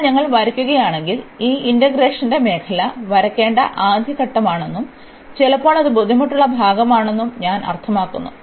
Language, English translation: Malayalam, So, if we draw I mean this is the first step that we have to draw the region of integration, and sometimes that is the difficult part